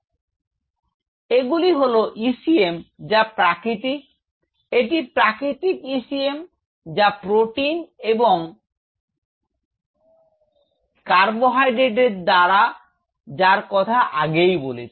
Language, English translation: Bengali, These are ECM which are natural these are natural ECM which consists of as I have mentioned of proteins and flush carbohydrates